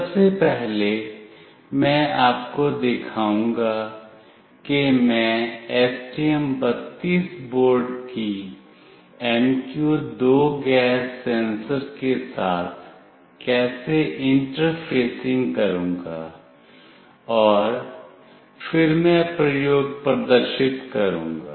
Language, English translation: Hindi, Firstly, I will show you how I will be interfacing the MQ2 gas sensor to the STM32 board, and then I will demonstrate the experiment